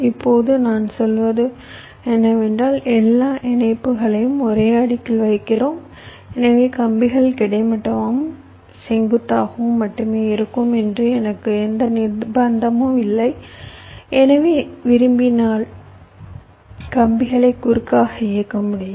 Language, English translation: Tamil, what i am saying is that because we are laying out all the connections on the same layer, so i do not have any compulsion that the wires up to horizontal and vertical only, so i can also run the wires diagonally if i want